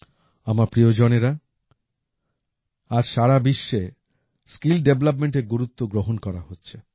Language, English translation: Bengali, My family members, nowadays the importance of skill development is finding acceptance all over the world